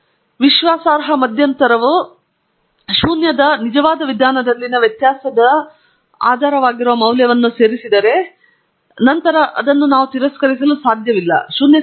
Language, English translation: Kannada, If the confidence interval had included the postulated value for the difference in true means which is 0, then we cannot reject the null hypothesis